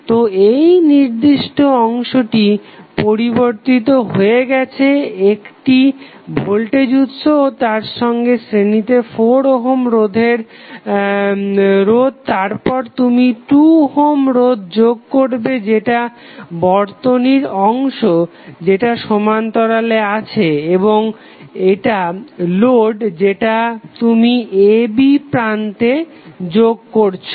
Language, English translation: Bengali, So, this particular segment is now converted into voltage source in series with 4 ohm resistance then you add 2 ohm resistance that is the part of the circuit in parallel again and this is the load component which you have connected at terminal a, b